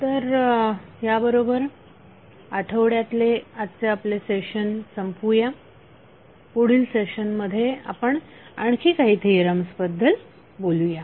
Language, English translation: Marathi, So with this week close our today’s session next session we will talk about few other theorems thank you